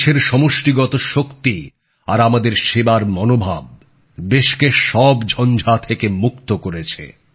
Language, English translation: Bengali, Her collective strength and our spirit of service has always rescued the country from the midst of every storm